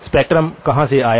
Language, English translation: Hindi, Where did the spectrum come from